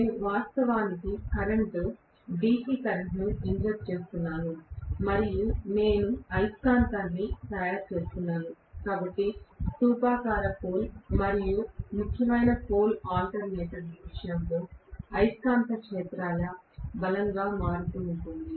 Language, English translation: Telugu, I am actually injecting a current, DC current and I am making the magnet, so magnetic fields strength can be varied in the case of cylindrical pole as well as salient pole alternator